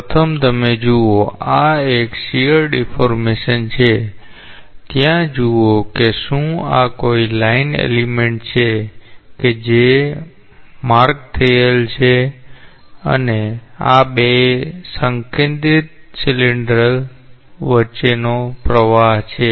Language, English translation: Gujarati, So, first you see, this is a this is a shear deformation see if there is a line element which is marked and this is a flow between two concentric cylinders